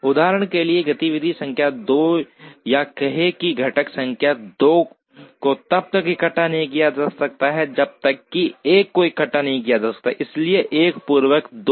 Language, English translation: Hindi, For example, activity number 2 or say component number 2 cannot be assembled unless one is assembled, so 1 precedes 2